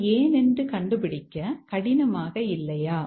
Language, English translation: Tamil, It's not hard to make out why it is so